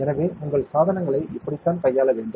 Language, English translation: Tamil, So, this is how you should handle your devices